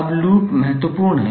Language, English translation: Hindi, Now, why the loop is important